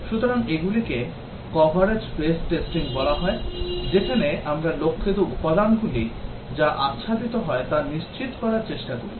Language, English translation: Bengali, So, these are called as coverage base testing, where we try to ensure that the targeted elements are covered